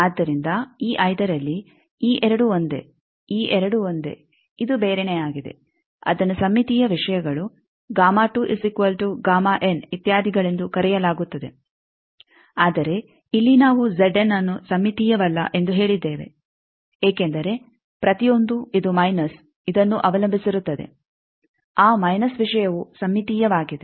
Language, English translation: Kannada, So, in a five one, these two are same these two are same this is something else that is called the symmetrical things gamma naught is equal to gamma n racetrack etcetera, but here we have said that Z n's are not symmetrical we do not mean that because this each one depends on this minus this, that minus thing is symmetrical